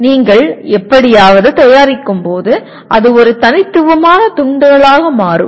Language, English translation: Tamil, When you are producing somehow it becomes a unique piece